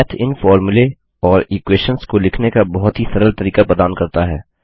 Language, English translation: Hindi, Math provides a very easy way of writing these formulae or equations